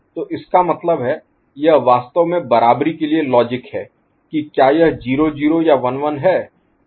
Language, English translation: Hindi, So, that means, it is actually giving the logic for equality equal whether it is 0 0 or 1 1